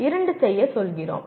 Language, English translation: Tamil, We ask you to do two